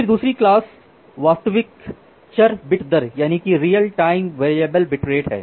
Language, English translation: Hindi, Then the second class is real time variable bit rate